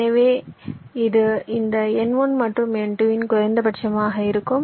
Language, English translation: Tamil, ok, so this will be the minimum of this n one and n two